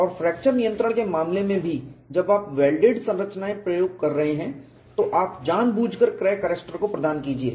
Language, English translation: Hindi, And also in the case of fracture control, when you are having welded structures, provide deliberate crack arrestors